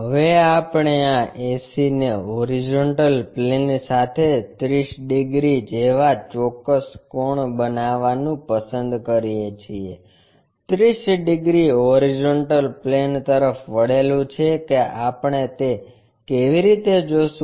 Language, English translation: Gujarati, Now, we will like to have this ac making a particular angle like 30 degrees with the horizontal plane AC point 30 degrees inclined to horizontal plane how we will see